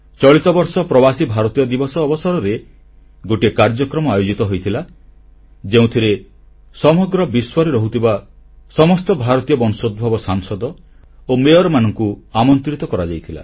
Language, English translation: Odia, This year we organized a program on Pravasi Bharatiya Divas, where all MPs and Mayors of Indian origin were invited